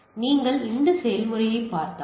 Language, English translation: Tamil, So, this is if you look at this process